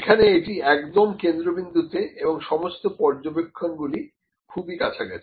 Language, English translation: Bengali, It is at the centre and also the all the observations are close